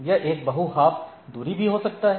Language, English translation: Hindi, It may be on a multi hop distance